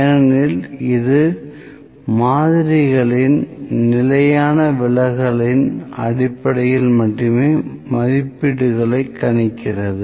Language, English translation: Tamil, So, it because it can make the estimates based upon the standard deviation of samples only